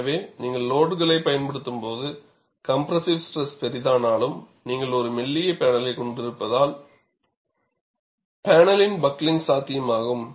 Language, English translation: Tamil, So, when you apply the load, because of compressive stresses developed, and since you are having a thin panel, buckling of the panel is possible